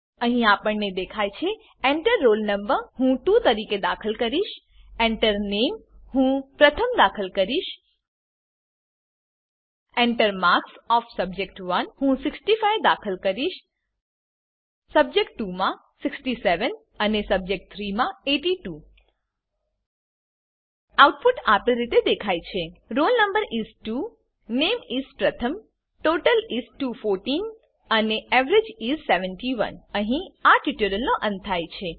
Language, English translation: Gujarati, Here it is displayed as, Enter Roll no.: I will give as 1 Enter Name: I will enter as Arya Enter marks of subject1 I will give as 60 subject 2 as 70 And subjec 3 as 80 The output is displayed as Roll no is: 1 Name is: Arya and, Total is: 210 Now we will see multilevel inheritance in the same example